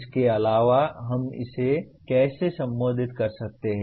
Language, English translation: Hindi, Further the how can we even address this